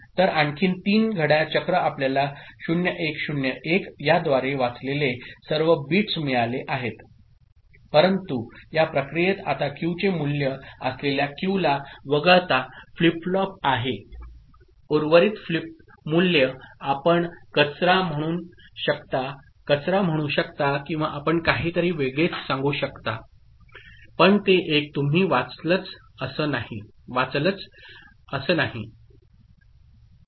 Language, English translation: Marathi, So, three more clock cycle you have got 0 1 0 1 all the bits read by this, but in this process now the flip flop except this one which is having the value of Q, rest of the values are you can say garbage or you can say some something else, but not the one that your read ok